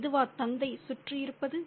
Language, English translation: Tamil, Is this because the father is around